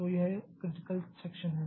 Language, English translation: Hindi, So, that is the critical section